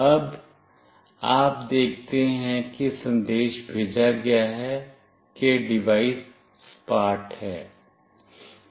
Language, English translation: Hindi, Now, you see message has been sent that the device is flat